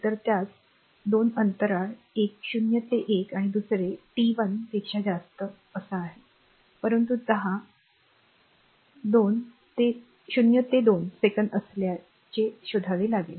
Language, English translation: Marathi, So, that you have 2 intervals one is 0 to 1 and another is t greater than 1, but you have to find out in between 0 to 2 second